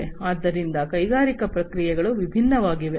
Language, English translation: Kannada, So, industrial processes are different